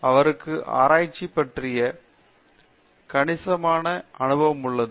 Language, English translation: Tamil, He has considerable experience in research and a lot of success in research